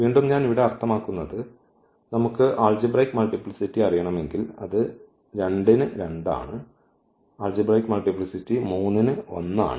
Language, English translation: Malayalam, Again I mean here, the if we want to know the algebraic multiplicity so it is 2 4 2 and the algebraic multiplicity of 3 is 1